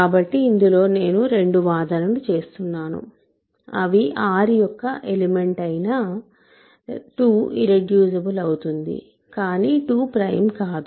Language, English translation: Telugu, So, in this I make two claims, 2 as an element of R is irreducible, but 2 is not prime ok